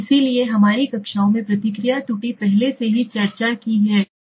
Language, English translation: Hindi, So response error we have already discussed earlier in our classes, right